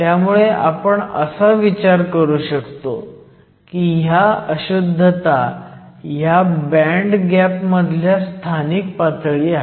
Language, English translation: Marathi, So, this allows us to think of these impurities as localized states in the band gap